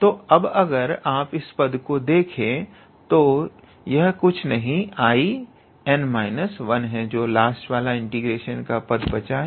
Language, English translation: Hindi, So, now if you see this term here; this is nothing but I n minus 1